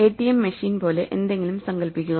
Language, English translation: Malayalam, Imagine something like an ATM machine